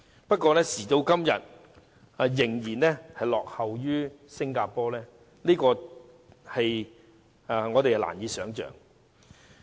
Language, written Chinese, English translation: Cantonese, 可是，時至今日，香港竟然落後於新加坡，這是難以想象的。, However to date Hong Kong is lagging behind Singapore . It is really inconceivable